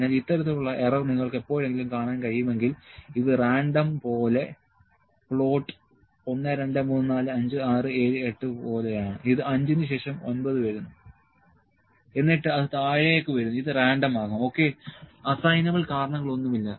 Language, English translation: Malayalam, So, this kind of error if you can see sometime it is random like that the plot is like 1, 2, 3, 4, 5, 6, 7,8 it is 5 comes 9, then it comes down this can be random, ok, no assignable causes